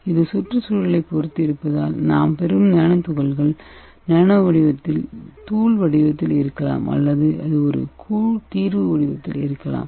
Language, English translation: Tamil, So it depends on the environment, it can get the particles in the nano powdered form, or it can be in a colloidal solution form